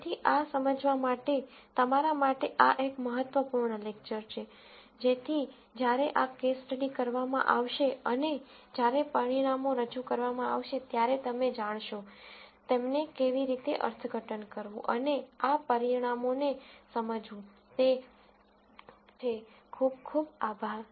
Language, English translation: Gujarati, So, this is an important lecture for you to understand so that, when these case studies are done and when the results are being presented, you will know, how to interpret them and understand these results, thank you very much